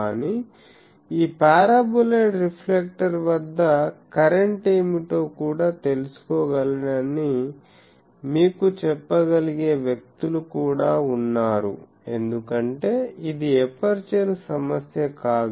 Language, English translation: Telugu, But, there are also people you can say that I can also find out at this paraboloid reflector what is the current because, this is not an aperture problem